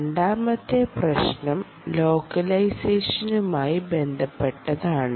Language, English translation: Malayalam, the second hard problem is related to localization